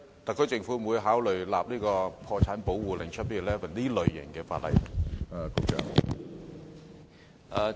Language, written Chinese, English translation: Cantonese, 特區政府會否考慮訂立類似破產保護令的法例呢？, Will the SAR Government consider enacting legislation similar to bankruptcy protection order?